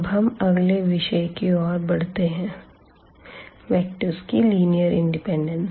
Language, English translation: Hindi, Well, so, now going to the next topic here we will be talking about linear independence of vectors and what do we have here